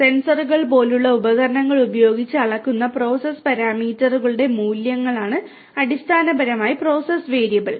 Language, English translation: Malayalam, Process variable are basically the values of the process parameters measured using devices such as sensors